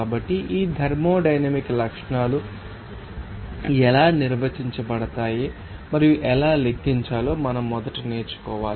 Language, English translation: Telugu, So, these are how these thermodynamic properties are defined and how to calculate we have to learn first